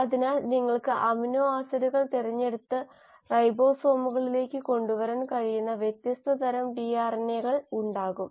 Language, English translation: Malayalam, And this tRNA is; so you will have different kinds of tRNAs which can then handpick the amino acids and bring them to the ribosomes